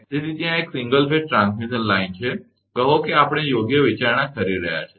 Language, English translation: Gujarati, So, there is a single phase transmission line, say we are considering right